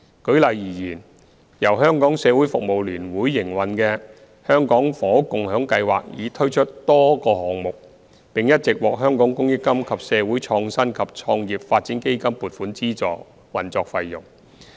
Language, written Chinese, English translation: Cantonese, 舉例而言，由香港社會服務聯會營運的"社會房屋共享計劃"已推出多個項目，並一直獲香港公益金及社會創新及創業發展基金撥款資助運作費用。, For example the Community Housing Movement CHM operated by the Hong Kong Council of Social Service has introduced multiple projects . CHM has been receiving subsidies from the Community Chest of Hong Kong and the Social Innovation and Entrepreneurship Development Fund to support its operation expenses